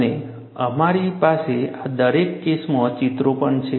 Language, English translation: Gujarati, And, we would also have pictures, for each one of these cases